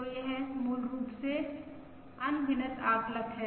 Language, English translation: Hindi, So this is basically an unbiased estimator